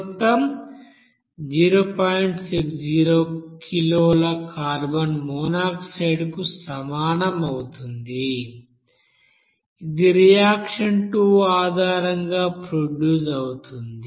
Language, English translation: Telugu, 60 kg of carbon monoxide that is produced based on the reaction two